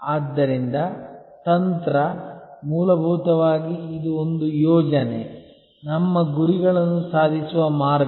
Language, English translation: Kannada, So, strategy, fundamentally it is a plan, the way to achieve our goals